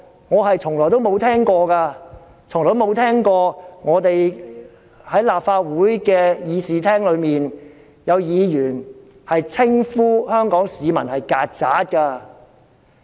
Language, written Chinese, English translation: Cantonese, 我是聞所未聞的，我從未聽過在立法會議事廳裏，有議員稱呼香港市民為"曱甴"。, I have never before heard of such remarks here . Within the Chamber of the Legislative Council I have never before heard of any Member referring to the Hong Kong citizens as cockroaches